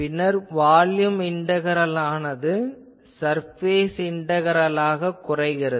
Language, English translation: Tamil, Then, this volume integrals will reduce to surface integrals